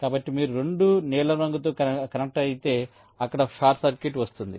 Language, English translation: Telugu, so both, if you connect by blue, there is a short circuit